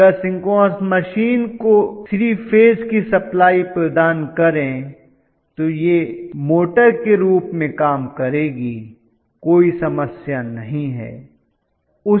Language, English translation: Hindi, So if provide 3 phase supply to the synchronous machine, it will work very beautifully as a motor, there is no problem